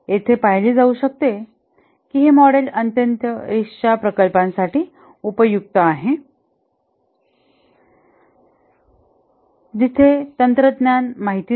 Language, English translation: Marathi, As can be seen here, this model is ideally suited for very risky projects where the technology is not known